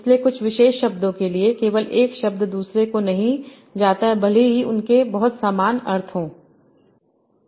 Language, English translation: Hindi, So with some particular words, only one word goes not the other one, even if they have very, very similar meanings